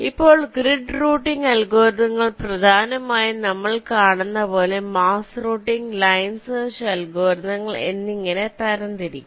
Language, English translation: Malayalam, ok, now grid working algorithms mainly can be classified as maze routing and line search algorithms, as we shall see